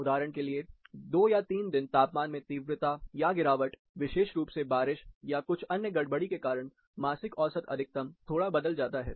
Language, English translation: Hindi, For example 2 or 3 days shoot up in temperature, or fall of specifically due to rain or some other disturbances, then the monthly mean maximum, might be skewed little bit